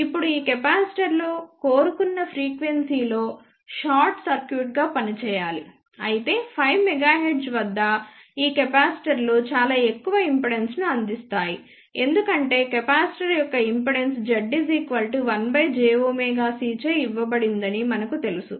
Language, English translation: Telugu, Now, these capacitors should act as short circuit at the desire frequency, but at 5 megahertz these capacitors will provide very high impedance because we know that impedance of the capacitor is given by z equal to 1 by j omega c